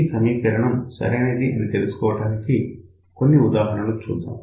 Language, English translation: Telugu, Let me take a few cases just to show that this particular equation is right